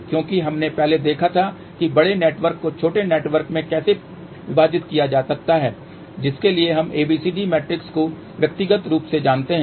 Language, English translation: Hindi, Because we had seen earlier how a larger network can be divided into smaller network for which we know ABCD matrix individually